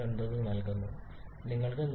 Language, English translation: Malayalam, 90 and you have got 120